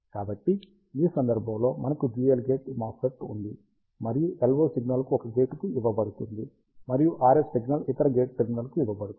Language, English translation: Telugu, So, in this case, we have a dual gate MOSFET, and the LO signal is given to one of the gate, and the RF signal is given to the other gate terminal